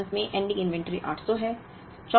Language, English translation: Hindi, At the end of this month ending inventory is 800